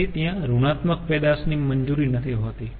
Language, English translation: Gujarati, so negative output is not allowed